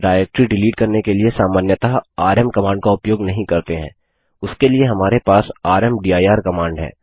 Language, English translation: Hindi, rm command is not normally used for deleting directories, for that we have the rmdir command